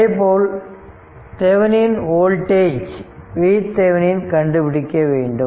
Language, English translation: Tamil, And similarly you have to find out your Thevenin voltage V thevenin